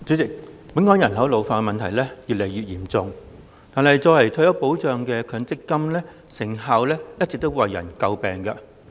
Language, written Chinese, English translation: Cantonese, 代理主席，本港人口老化問題越來越嚴重，但作為退休保障的強制性公積金制度的成效一直為人詬病。, Deputy President while the problem of an ageing population is growing increasingly serious in Hong Kong the effectiveness of the Mandatory Provident Fund MPF System which plays the role of retirement protection has all along been a cause of criticism